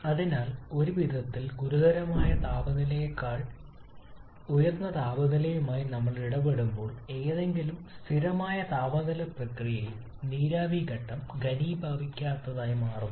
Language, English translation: Malayalam, So in a way when we are dealing with a temperature level higher than the critical temperature the vapour phase becomes non condensable for during any constant temperature process